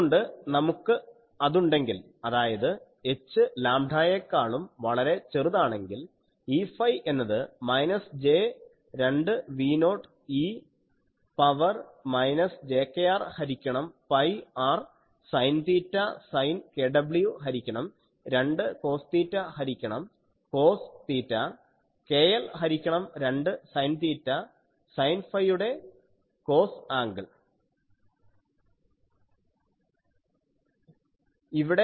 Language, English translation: Malayalam, So, if we have that that means for h much larger smaller than lambda, we have E phi becomes minus j 2 V 0 e to the power minus j k r by pi r sin theta sin k w by 2 cos theta by cos theta cos of k l by 2 sin theta sin phi